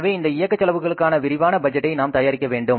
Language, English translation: Tamil, So, in this operating expenses we have to prepare the budget in detail